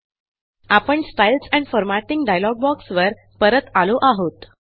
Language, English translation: Marathi, We are back to the Styles and Formatting dialog box